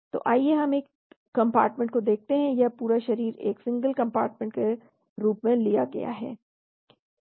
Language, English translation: Hindi, So let us look at one compartment model, this is the entire body is taken as one single compartment